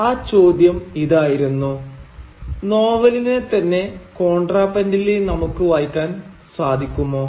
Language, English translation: Malayalam, And the question was can there be a contrapuntal reading of the novel itself